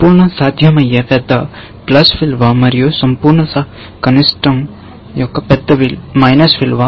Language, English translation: Telugu, The absolute possible is plus large and absolute minimum is minus large